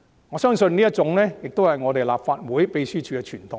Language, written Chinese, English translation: Cantonese, 我相信這是立法會秘書處的傳統。, I believe it is the tradition of the Legislative Council Secretariat